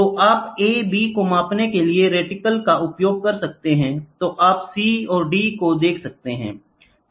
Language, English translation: Hindi, So, you can reticle for measuring a b; so, you can see c and d, ok